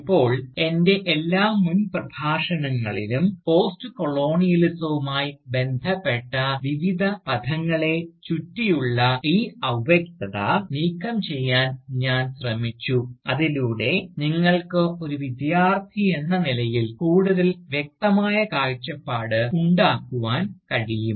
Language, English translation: Malayalam, Now, in all my past Lectures, I have tried to remove this vagueness, that surrounds various terms associated with Postcolonialism, so that, you can have, a more clear perspective, as a student